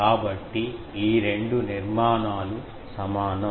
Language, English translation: Telugu, So, these two structures are equivalent